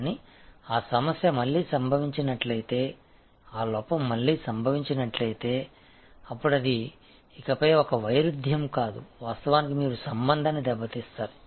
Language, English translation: Telugu, But, it is very clear that if that problem happens again, if that lapse happens again, then it is no longer a paradox your actually damage the relationship